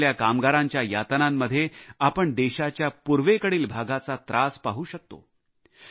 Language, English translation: Marathi, Today, the distress our workforce is undergoing is representative of that of the country's eastern region